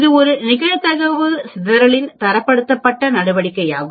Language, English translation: Tamil, It is a standardized measure of dispersion of a probability distribution